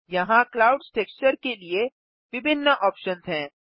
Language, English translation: Hindi, Here are various options for the clouds texture